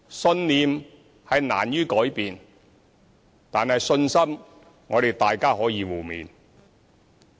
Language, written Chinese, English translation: Cantonese, 信念難於改變，但信心，我們可以互勉。, While it is hard to change ones belief I call for mutual encouragement to build up the confidence